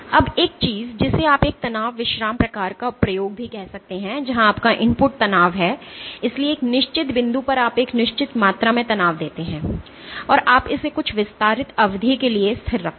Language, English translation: Hindi, Now, one thing you can also do one type of experiment is called a stress relaxation type of experiment, where your input is the strain So, at a certain point you impose a given amount of strain and you keep it constant, for some extended duration